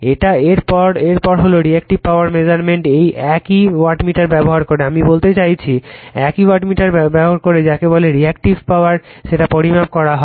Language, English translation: Bengali, Next is the Measurement of Reactive Power using the same wattmeter , right, I mean , using the your same wattmeter you measure the your what you call the , your Reactive Power